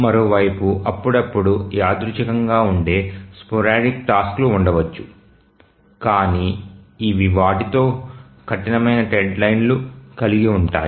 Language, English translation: Telugu, On the other hand there may be sporadic tasks which are again random but these have hard deadlines with them